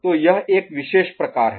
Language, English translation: Hindi, So, this is one particular type ok